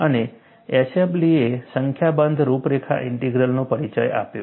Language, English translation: Gujarati, And, Eshelby introduced a number of contour integrals